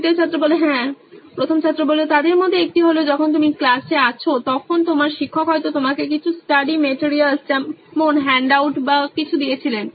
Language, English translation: Bengali, Yeah One of them is when you are in class your teacher might have given you some sort of study material like handout or something